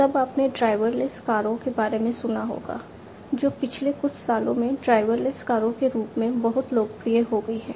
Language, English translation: Hindi, Then you must have heard about the driverless cars, which has also become very popular in the last few years, the driverless cars